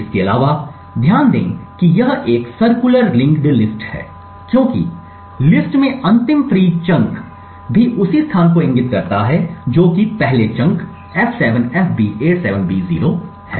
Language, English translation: Hindi, Also note that this is a circular linked list because the last freed chunk in the list also points to the same location as that of the first chunk that is f7fb87b0